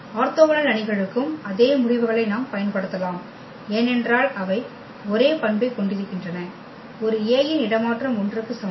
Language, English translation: Tamil, Same results we can also use for the orthogonal matrices because they are also having the same property a transpose A is equal to I